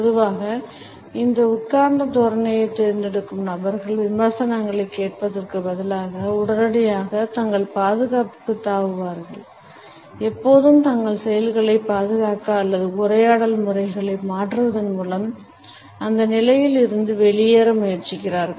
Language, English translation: Tamil, Normally, we find that people who opt for this sitting posture jump to their defense immediately instead of listening to the criticism and are always in a hurry either to defend their actions or to try to wriggle out of that position by changing the conversation patterns